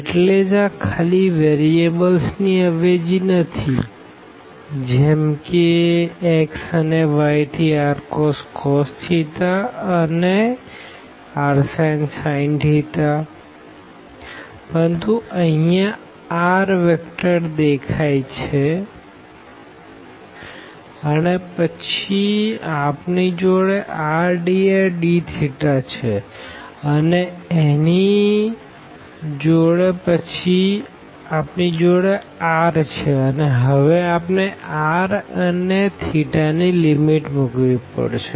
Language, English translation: Gujarati, And so, it is not just the substitution of the variables here x and y 2 r cos theta and r sin theta, but also this vector r had appeared there and then we have r dr d theta and corresponding to this r we have to also substitute now the limits of the r and theta